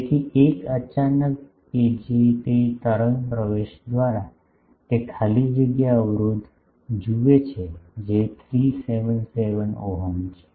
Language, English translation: Gujarati, So, y w 1 by that wave admittance suddenly, it sees free space impedance that is 377 ohm